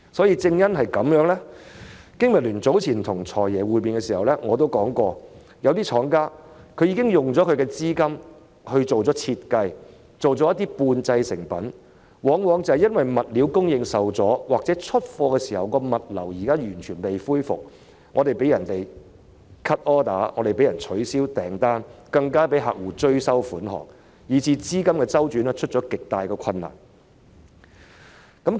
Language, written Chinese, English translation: Cantonese, 有見及此，經民聯早前與"財爺"會面時亦曾指出，有些廠家已經斥資進行設計、生產了一些半製成品，但卻因為物料供應受阻或出貨時物流尚未完全恢復而被客戶 cut order、取消訂單，甚至被追收款項，以致資金周轉出現極大困難。, In view of this BPA has pointed out when meeting with the Financial Secretary that some manufacturers have invested in designing and producing semi - finished products but because supplies have been hindered or logistics have yet to be fully resumed at the time of the delivery of goods customers have cut their orders or even taken action against the manufacturers for payment recovery and thus the manufacturers have encountered serious cash flow problems